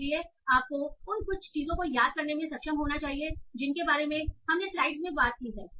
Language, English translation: Hindi, So you should be able to recall certain things that we talked in the slides